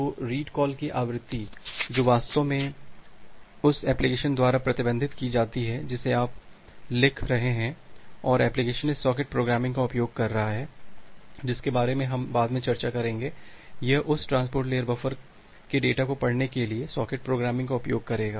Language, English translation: Hindi, So, the frequency of the read call that is actually managed by the application which you are writing and the application is using this socket programming that we will discuss later in details; it will use the socket programming to read the data from this transport layer buffer